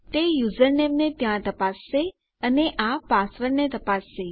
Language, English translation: Gujarati, Thats checking our username there and this is checking our password